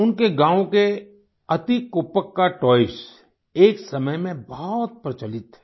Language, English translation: Hindi, Once the Eti Koppakaa toys of his village were very popular